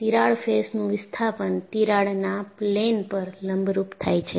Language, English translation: Gujarati, The displacement of crack faces is perpendicular to the plane of the crack